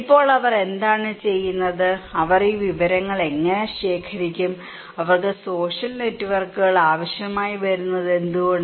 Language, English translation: Malayalam, Now, what do they do, how they would collect these informations, and why do they need social networks